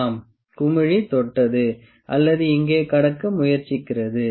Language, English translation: Tamil, Yes, the bubble has touched or, it is trying to cross the line here